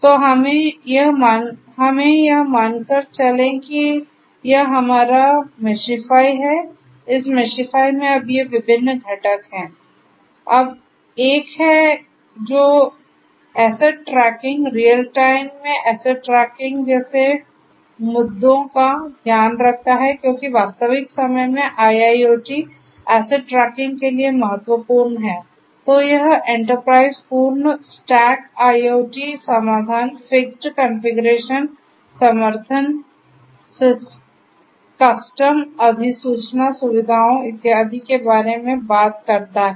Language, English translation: Hindi, So, let us assume that this is our Meshify, this Meshify has these different components Now; Now is 1, which takes care of issues such as asset tracking, asset tracking in real time because that is what is important for IIoT asset tracking in real time, then this Enterprise; this Enterprise talks about full stack IoT solutions, fixable configuration support custom notification facilities and so on